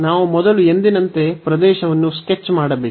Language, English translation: Kannada, So, we have to first sketch the region as usual